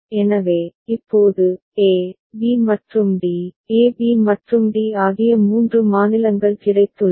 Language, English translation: Tamil, So, now, we have got three states a, b and d, a b and d